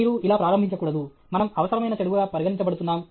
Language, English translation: Telugu, You should not start out, I get the impression that we are considered a necessary evil